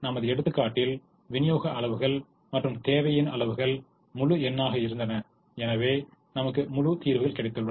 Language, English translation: Tamil, in our example, the supply quantities and the demand quantities were integers and therefore we got integer solutions